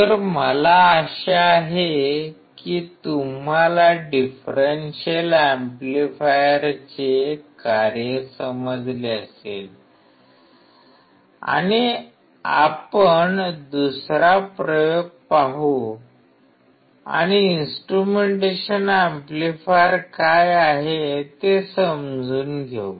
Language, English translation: Marathi, So, I hope that you understood the function of the differential amplifier and let us see another experiment and understand what are the instrumentation amplifier